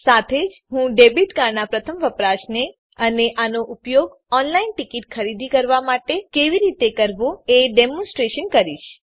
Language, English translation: Gujarati, I will also demonstrate the first time use of a debit card and how to use this to purchase the ticket online